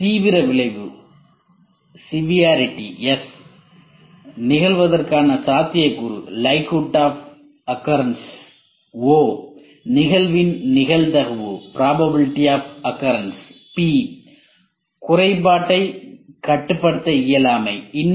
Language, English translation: Tamil, Severity is S, likelihood of occurrence is O, probability of occurrence is P, inability of control to the defect is D